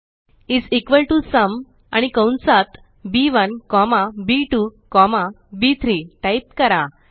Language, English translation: Marathi, Type is equal to SUM, and within the braces, B1 comma B2 comma B3